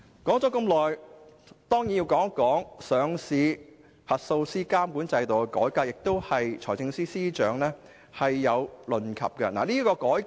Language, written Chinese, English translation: Cantonese, 我接着還要談談上市實體核數師監管制度的改革，財政司司長也曾提及這項改革。, Next I would also like to talk about the reform of the regulatory regime for listed entity auditors . The Financial Secretary has also mentioned this reform